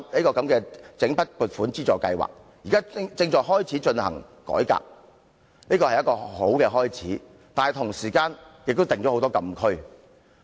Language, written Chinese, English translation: Cantonese, 政府說整筆撥款津助制度現正進行改革，但同時設定了很多禁區。, While the Government admits that changes are being made to LSGSS it has also set a number of restrictions